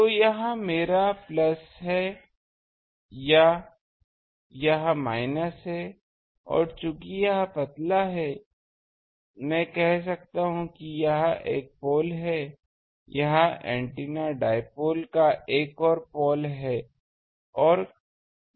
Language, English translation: Hindi, So, this is my plus, this is minus and since this is thin, this is thin, I can say this is one pole, this is another pole of the antenna dipole